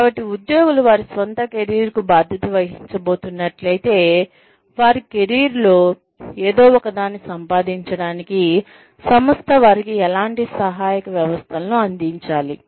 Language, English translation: Telugu, So, if employees are going to be responsible for their own careers, then, what kind of support systems, will the organization need, to provide to them, in order for them, to make something out of their careers